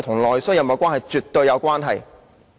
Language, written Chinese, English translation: Cantonese, 兩者是絕對有關係的。, They are definitely related